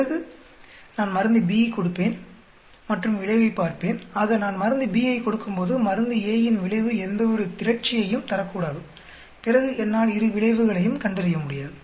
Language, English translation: Tamil, Then I give the drug B and then see the effect so there should not be any accumulation on the effect of drug a when I give the drug B then I will not be able to really decipher the 2 effect